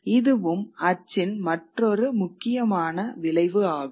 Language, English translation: Tamil, That is also another important effect of print